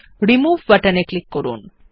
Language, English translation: Bengali, Click on the Remove button